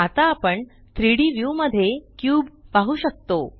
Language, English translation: Marathi, Now the cube can be seen in the 3D view